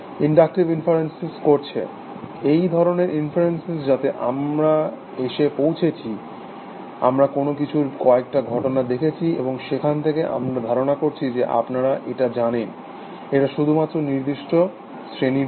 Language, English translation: Bengali, These kind of inferences that we come to, is making inductive inferences, you we look at a few instances of something, and then from where, we generalize, that you know, it holds for a certain class of things essentially